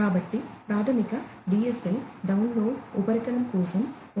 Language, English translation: Telugu, So, the basic DSL supports data rate of 1